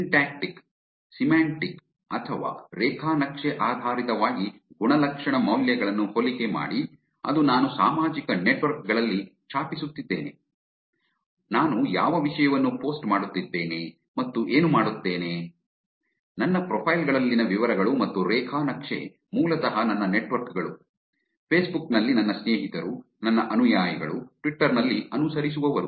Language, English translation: Kannada, Compare attribute values using syntactic, the graph base, which is what am I typing on the social networks, what content are my posting, and what is the details in my profiles, and the graph is basically my networks, my friends and Facebook, my followers, followings in Twitter